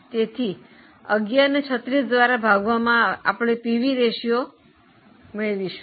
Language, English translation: Gujarati, So, 11 upon 36 will give you this ratio known as pv ratio